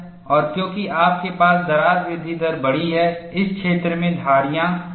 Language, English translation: Hindi, And because you have larger crack growth rate, in this region, striations are possible